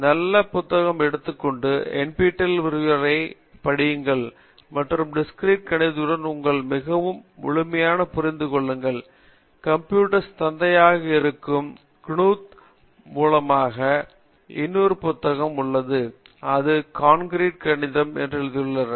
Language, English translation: Tamil, Take one book, good book and listen these type of NPTEL lecture and get yourself very thorough with Discrete Mathematics there is another book by Knuth, who is the father of computer science and he has written that’s called Concrete Mathematics